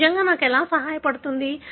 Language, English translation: Telugu, How does it really help me